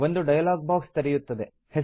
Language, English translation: Kannada, A dialog box will open